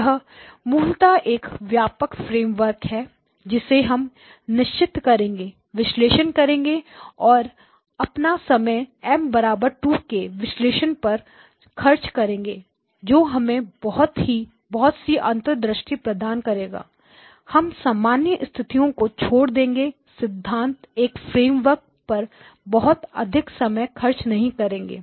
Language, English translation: Hindi, So basically this is the broad framework that we would analyze and we will spend our time analyzing M equal to 2 that gives us a lot of insight and basically we will leave the general case as a basically a theoretical framework not spent too much time on that